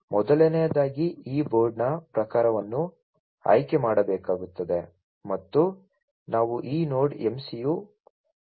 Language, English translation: Kannada, First of all the type of this board will have to be selected and we are using this Node MCU 0